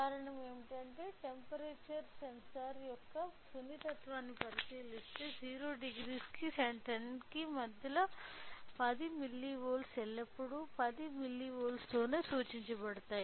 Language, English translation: Telugu, The reason is that when we look in to the sensitive of the temperature sensor 10 milli volt per degree centigrade 1 degree will be always represented with 10 milli volt